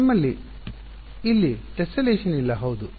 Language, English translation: Kannada, We do not have the tessellation here right